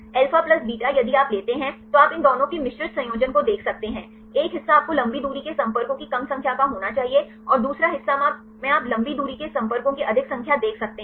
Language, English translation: Hindi, Alpha plus beta if you take you can see the mixed combination of these two; one part you should be less number of long range contacts and another part you can see the more number of long range contacts